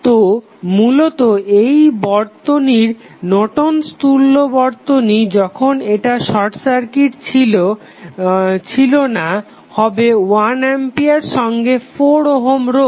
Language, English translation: Bengali, So, basically the Norton's equivalent of this circuit when it is not short circuited would be 1 ampere in parallel with 4 ohm resistance